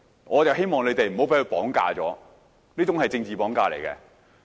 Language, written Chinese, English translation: Cantonese, 我希望你們不要被他綁架，這種是"政治綁架"。, I hope you would not be bound by his notion; this is political kidnapping